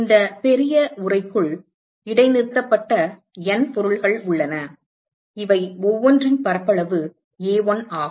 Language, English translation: Tamil, There are N objects which are suspended inside these this large enclosure and this surface area of each of these is A1